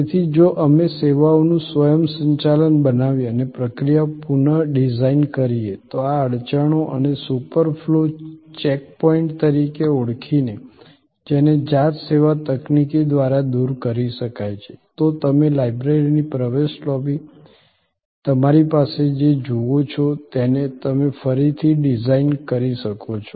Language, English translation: Gujarati, So, if we create some automation of services and process redesign, by identifying these bottleneck points and super flow as check points which can be eliminated by self service technology, you could redesign what you see in front of you, the entry lobby of the library